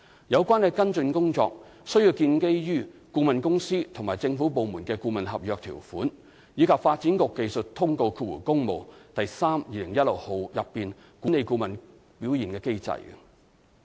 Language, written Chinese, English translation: Cantonese, 有關跟進工作需要建基於顧問公司與政府部門的顧問合約條款，以及《發展局技術通告第 3/2016 號》內管理顧問表現的機制。, The follow - up action concerned should be based on the provisions of the consultancy agreement between the consultant and the government department as well as the mechanism for management of the performance of consultants in the Development Bureau Technical Circular Works No . 32016